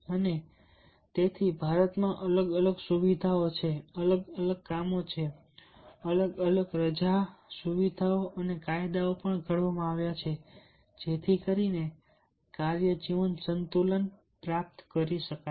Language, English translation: Gujarati, and therefore, different facilities, different works, different leave facilities, and the acts are also in acted in india so that the work life balance can be achieved